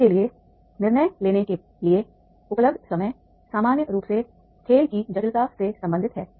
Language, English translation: Hindi, The time available, the time available to the teams for making decision is normally related to the complexity of the game